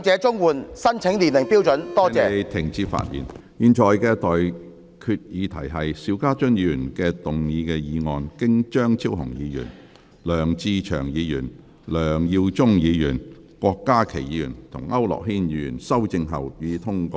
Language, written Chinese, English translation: Cantonese, 我現在向各位提出的待決議題是：邵家臻議員動議的議案，經張超雄議員、梁志祥議員、梁耀忠議員、郭家麒議員及區諾軒議員修正後，予以通過。, I now put the question to you and that is That the motion moved by Mr SHIU Ka - chun as amended by Dr Fernando CHEUNG Mr LEUNG Che - cheung Mr LEUNG Yiu - chung Dr KWOK Ka - ki and Mr AU Nok - hin be passed